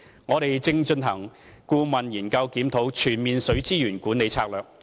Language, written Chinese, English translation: Cantonese, 我們正進行顧問研究，檢討《全面水資源管理策略》。, We are conducting a consultancy study to review the Total Water Management Strategy